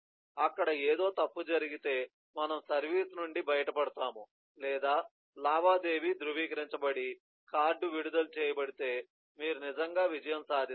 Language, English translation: Telugu, there may something goes wrong, we will go to out of service, or you may actually see if the transaction is verified and then the card is released by part